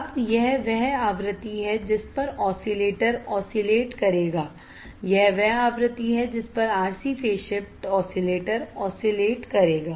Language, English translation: Hindi, Now, this is the frequency at which the oscillator will oscillate this is the frequency at which the RC phase shift oscillator will oscillate